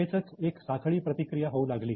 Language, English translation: Marathi, Immediately there was a chain reaction